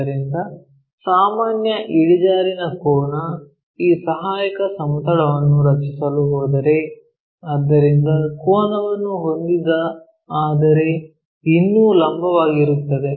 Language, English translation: Kannada, So, the general inclination angle, if we are going to draw that this auxiliary plane; so, inclined one, but still perpendicular